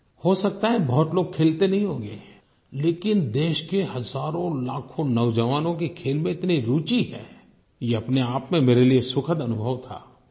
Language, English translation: Hindi, Maybe many people don't play the game themselves, but hundreds of thousands of young Indians have displayed such keen interest in the sport, this by itself was a very delightful experience for me